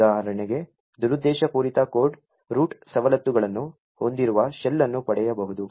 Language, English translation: Kannada, The malicious code for instance could obtain a shell which has root privileges